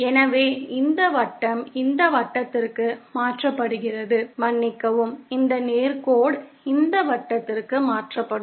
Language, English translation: Tamil, So, this circle gets converted to this circle, I beg your pardon, this straight line gets converted to this circle